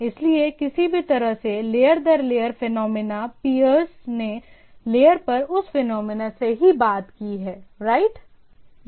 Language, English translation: Hindi, So, any way that is a layer to layer phenomenon, the peers talk at the layer at the that phenomenon only, right